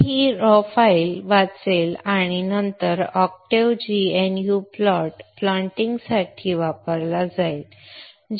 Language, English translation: Marathi, So it will read this raw file and then the octaves GnU plot is used for plotting